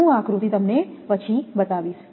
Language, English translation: Gujarati, I will show you the diagram later